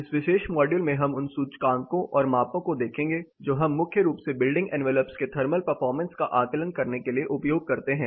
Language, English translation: Hindi, In this particular module we will look at the Indices and Measures that we primarily use to assess thermal performance of building envelope